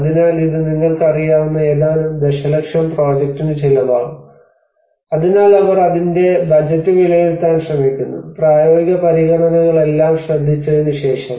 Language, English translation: Malayalam, So this is going to cost few millions worth of project you know so then they try to assess the budget of it you know what kind of so after all taking care of the practical considerations